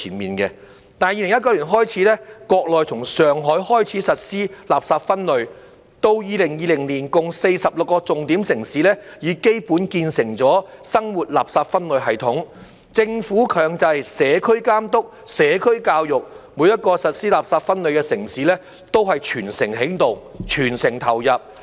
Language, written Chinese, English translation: Cantonese, 不過，從2019年開始，國內從上海開始實施垃圾分類，到2020年共46個重點城市已基本建成了生活垃圾分類系統，政府強制社區監督、社會教育，每一個實施垃圾分類的城市都是全城起動，全城投入。, However since 2019 the Mainland has implemented waste separation starting from Shanghai and by 2020 a total of 46 key cities have basically completed their domestic waste separation systems . With the imposition of mandatory community supervision and social education by the government all people in individual cities implementing waste separation are mobilized and participating actively